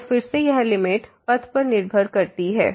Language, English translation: Hindi, So, again this limit is depending on the path